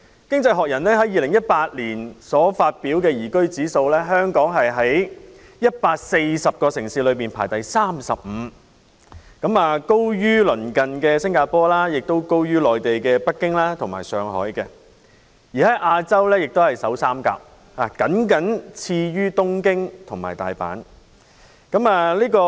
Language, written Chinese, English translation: Cantonese, 《經濟學人》在2018年發表的"宜居指數"，香港在140個城市中排第三十五位，高於鄰近的新加坡，亦高於內地的北京及上海，在亞洲亦是首3位，僅次於東京及大阪。, The Global Liveability Index for 2018 published by The Economist has ranked Hong Kong the 35 place among 140 cities higher than the neighbouring Singapore and also Beijing and Shanghai in the Mainland . In Asia Hong Kong is ranked third after Tokyo and Osaka